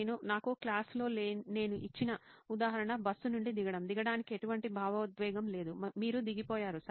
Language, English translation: Telugu, For me the example that I probably gave you in class is getting down from a bus, there is no emotion associated with getting down; you have got down, you have got down, right